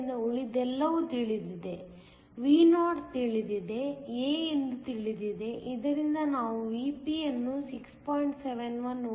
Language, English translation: Kannada, So, everything else is known; Vo is known, a is known from which we can calculate Vp to be equal to 6